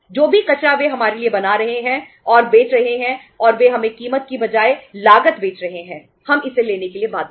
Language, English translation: Hindi, Whatever the garbage they are manufacturing and selling to us and the cost rather the price they are selling it to us we are bound to have it